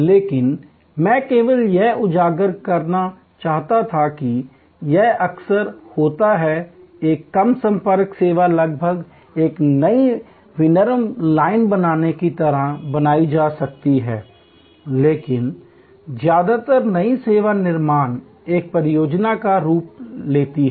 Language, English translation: Hindi, But, I just wanted to highlight that it is quite often, a low contact service can be created almost like creating a new manufacturing line, but mostly the new service creation takes the form of a project